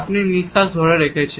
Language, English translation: Bengali, You are holding your breath